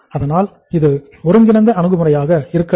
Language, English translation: Tamil, So it should be integrated approach